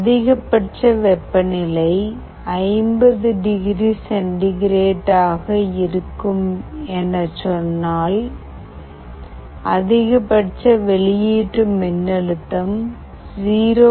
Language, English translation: Tamil, If maximum temperature is, let us say 50 degree centigrade, and the maximum output voltage is 0